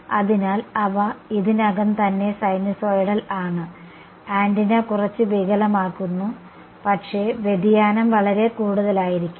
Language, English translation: Malayalam, So, they are already sinusoidals the antenna distorts is a little bit, but the deviation may not be much